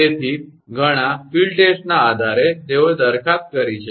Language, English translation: Gujarati, So, based on several field test, they have proposed